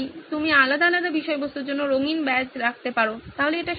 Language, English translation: Bengali, You can have colored badges for this and for that, so that is possible